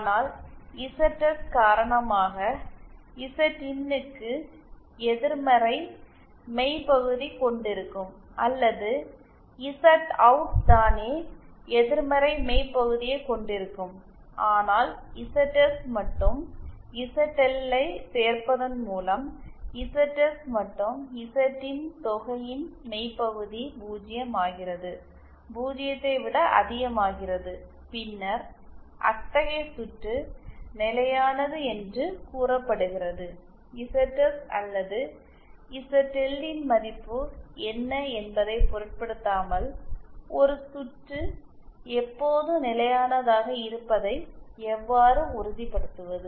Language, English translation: Tamil, If these conditions that is you have some ZIN but then due to ZS say ZIN itself has a negative real part or Z OUT itself has a negative real part but then on adding ZS and ZL the real part of the sum of ZS and ZIN becomes 0 becomes greater than 0 then such a circuit is said to be stable How to ensure that a circuit is always stable irrespective of what the value of ZS or ZL is so such a circuit which is stable irrespective of the value of ZS or ZL is said to be unconditionally stable